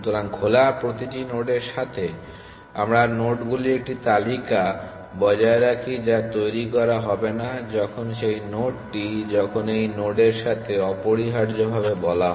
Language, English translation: Bengali, So, with every node in open, we maintain a list of nodes which will not be generated when that node is when this is called with that node essentially